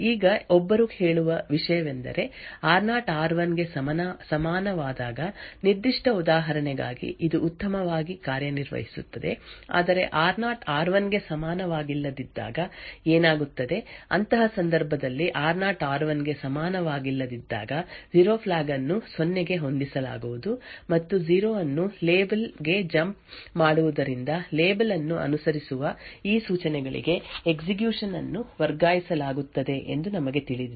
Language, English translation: Kannada, Now the thing which one would ask is this would work fine for the specific example when r0 is equal to r1, but what would happen when r0 is not equal to r1, well in such a case when r0 is not equal to r1 we know that the 0 flag would be set to zero and the jump on no 0 to label would result in the execution being transferred to these instruction that is following the label